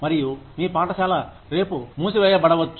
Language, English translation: Telugu, And, your school could be shut down, tomorrow